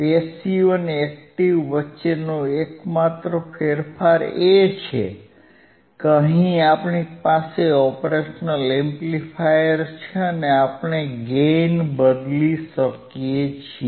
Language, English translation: Gujarati, So, t The only change between passive and active is that, here we have op amp and we can change the gain